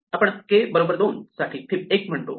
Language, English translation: Marathi, We say for k equal to 2, fib of k is 1